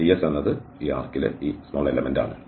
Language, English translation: Malayalam, ds is this element on the arc